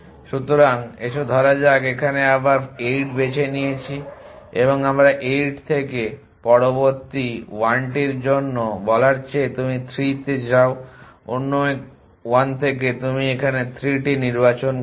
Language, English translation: Bengali, So, let us say we choose 8 here and than we say for the next 1 from 8 you go to 3 choose from the other 1 you put 3 here